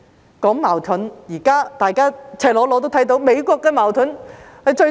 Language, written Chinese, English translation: Cantonese, 提到矛盾，現在大家也親眼目睹美國的矛盾。, Speaking of conflicts we are all witnessing them in the United States now